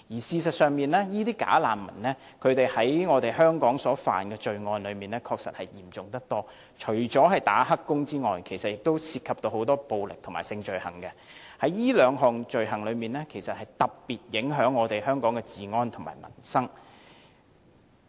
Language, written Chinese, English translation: Cantonese, 事實上，"假難民"在香港觸犯的罪行確實相當嚴重，除了當"黑工"之外，還涉及很多暴力和性罪行，這兩種罪行對香港治安和民生的影響特別重大。, As a matter of fact the offences committed by bogus refugees in Hong Kong are quite serious and apart from illegal employment they have also involved themselves in a lot of violent and sexual offences which have a particularly serious impact on the law and order and peoples livelihood of Hong Kong